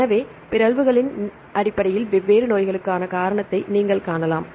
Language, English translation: Tamil, So, you can see the cause different diseases based on the mutations right